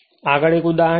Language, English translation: Gujarati, Next is an example